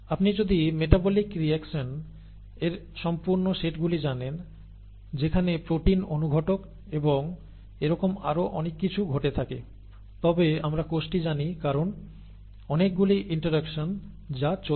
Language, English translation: Bengali, If you know the complete set of metabolic reactions that the proteins catalyse through and so on so forth, we know the cell because there are so many interactions that are taking place and so on